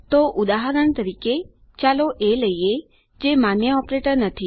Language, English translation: Gujarati, So, for example lets take a which is not a valid operator